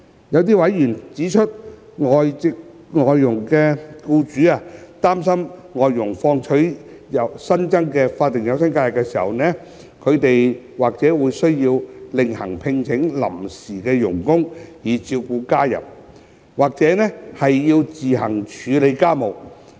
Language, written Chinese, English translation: Cantonese, 這些委員指出，有外傭僱主擔心，當外傭放取新增法定假日時，他們或需另行聘請臨時傭工以照顧家人，或要自行處理家務。, According to those members some FDH employers were worried that they might need to hire part - time helpers to take care of their family members or take up household chores themselves while their FDHs were on additional SHs